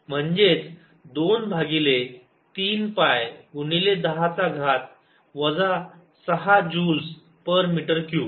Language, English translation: Marathi, raise to eight, which is two over three pi times ten raise to minus six joules per metre cube